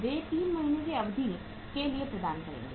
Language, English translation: Hindi, They will be providing the for the period of 3 months